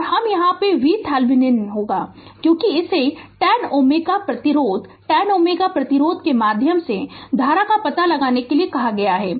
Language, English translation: Hindi, And I will be V Thevenin because it has been asked to find out current through 10 ohm resistance 10 ohm resistance